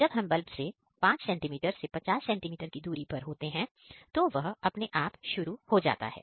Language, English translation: Hindi, So, when we go closer between 5 centimetre to 50 centimetre, it will automatically turn on the bulb